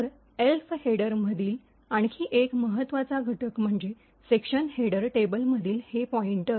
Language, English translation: Marathi, So, another important component in the Elf header is this pointer to the section header table